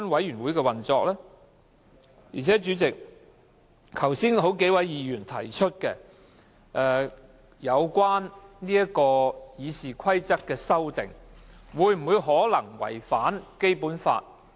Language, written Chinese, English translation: Cantonese, 而且，主席，剛才有數位議員提出，有關《議事規則》的修訂會否違反《基本法》？, Moreover President a number of Members raised just now the question of whether or not the amendments to RoP contravene the Basic Law